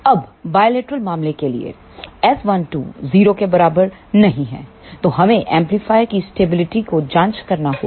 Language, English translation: Hindi, Now, for bilateral case S 1 2 is not equal to 0, then we have to check stability of the amplifier